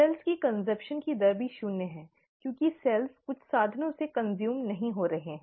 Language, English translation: Hindi, The rate of consumption of cells is also zero because the cells are not getting consumed by some means